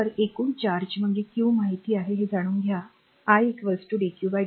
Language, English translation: Marathi, So, total charge is q you know you know that i is equal to dq by dt